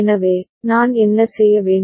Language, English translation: Tamil, So, what shall I do